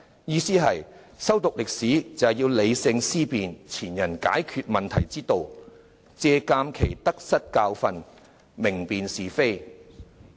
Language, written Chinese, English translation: Cantonese, "意思是修讀歷史旨在理性思辨前人解決問題之道，借鑒其得失教訓，明辨是非。, In other words historical studies allow us to discern rationally the problem - solving approach of our predecessors draw lessons from their gains and losses and distinguish right from wrong